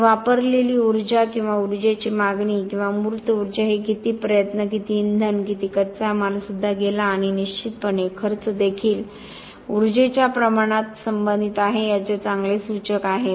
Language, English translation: Marathi, So, the energy consumed or the energy demand or the embodied energy is very good indicator of how much effort, how much of fuel, how much of raw material that went in also and obviously cost also is related to the amount of energy